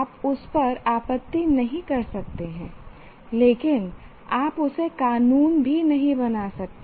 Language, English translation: Hindi, You cannot object to that, but you cannot legislate that either